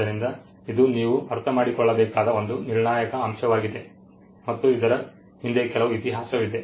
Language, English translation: Kannada, So, this is a critical point that you need to understand, and it has some history behind it